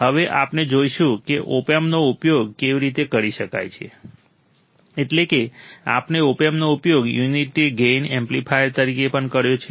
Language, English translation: Gujarati, Now, we will see how the opamp can be used as a differentiator of course, we have also used opamp as a unity gain amplifier